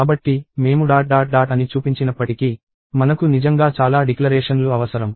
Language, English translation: Telugu, So, even though I showed dot dot dot, you really need so many declarations